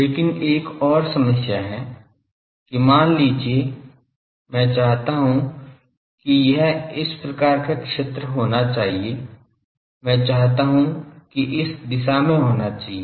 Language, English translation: Hindi, But there is another problem that suppose I want that this should be the type of field, I want that at this direction there should be